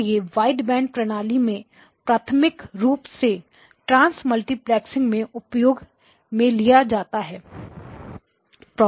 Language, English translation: Hindi, And its use in a wideband system primarily from the transmultiplexing operation, okay